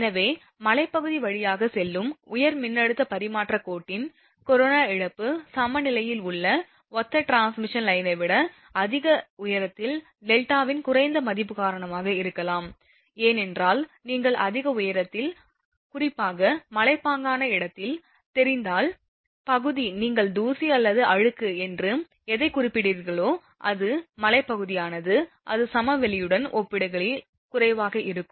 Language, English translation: Tamil, So, corona loss of a high voltage transmission line passing through a hilly area may be higher than that of similar transmission line in plains due to the lower value of delta at high altitudes, that because when you are you know at higher altitude, particularly hilly area, your what you call that your I mean dust or dirt whatever it is, it is hill area in altitude it will be less as compared to the plain areas